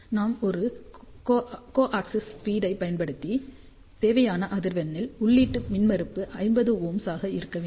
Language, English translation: Tamil, So, we have used a co axial feed to feed the antenna such a way that at the desired frequency input impedance should be around 50 ohm